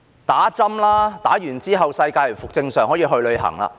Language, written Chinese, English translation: Cantonese, 打針吧，之後世界便會回復正常，可以去旅行。, Then the world will get back to normal and we can travel